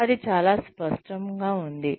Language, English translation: Telugu, No, that is very vague